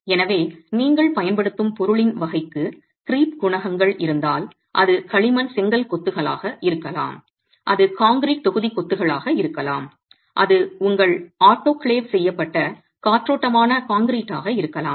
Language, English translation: Tamil, So, if creep coefficients for the type of material that you are using, maybe clay brick masonry, it may be concrete block masonry, it may be a rotoclaved erated concrete